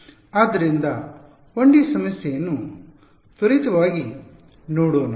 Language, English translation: Kannada, So, we will take a quick look at a 1D problem ok